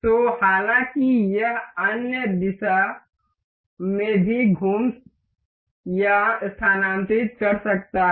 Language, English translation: Hindi, So, however, it can rotate or move in other directions as well